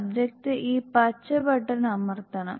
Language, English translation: Malayalam, So, we need to press the green button